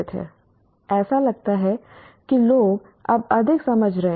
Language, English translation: Hindi, That is what people seem to be understanding a lot more